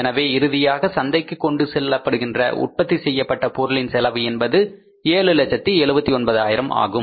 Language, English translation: Tamil, So, finally, the amount which will go to the market, the cost of that amount is 7,79,000